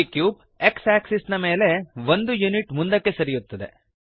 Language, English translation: Kannada, The cube moves forward by 1 unit on the x axis